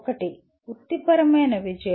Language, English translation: Telugu, One is professional success